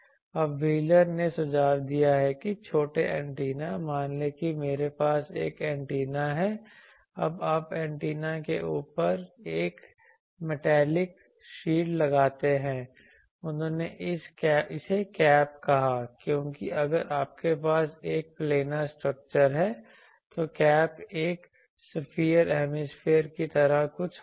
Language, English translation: Hindi, Now, what wheeler suggested that small antenna, suppose I have a antenna now you put a metallic shield over the antenna he called it cap because, if you have a planar structure it will the cap will be something like a sphere hemisphere